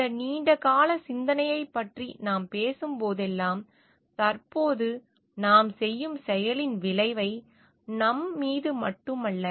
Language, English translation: Tamil, And whenever we are talking of this long term contemplation, we are thinking of the effect of the action that we are doing at present not only on us